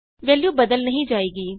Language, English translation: Punjabi, The value wont change